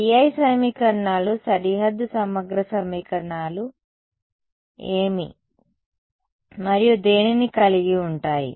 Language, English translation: Telugu, The BI equations the boundary integral equations involves what and what